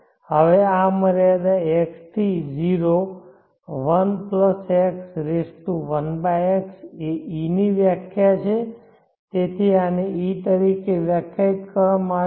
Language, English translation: Gujarati, now this limit to tends to(1 + x)1/x is the definition of e, so this is defined as e